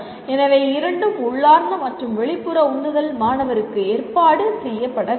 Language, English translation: Tamil, So and both of them, both intrinsic and extrinsic motivations will have to be arranged for the student